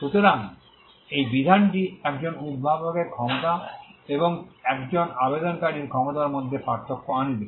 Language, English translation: Bengali, So, this provision brings out the distinction between the capacity of an inventor and the capacity of an applicant